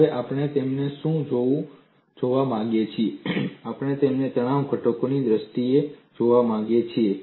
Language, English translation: Gujarati, Now, we what we want to look at them is, we want to look at them in terms of stress components